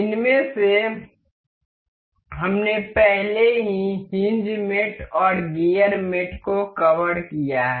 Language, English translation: Hindi, Out of these we have already covered hinge mate and gear mate